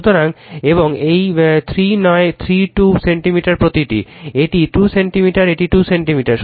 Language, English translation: Bengali, So, and this 3 not 3 2 centimeter each right, it is 2 centimeter this is 2 centimeter right